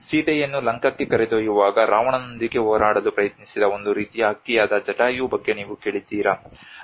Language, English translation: Kannada, Have you heard about Jatayu which is a kind of bird which protected tried to fight with Ravana when he was carrying Sita to Lanka